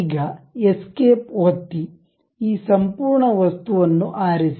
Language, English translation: Kannada, Now, press escape select this entire thing